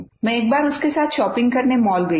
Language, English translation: Hindi, I went for shopping with her at a mall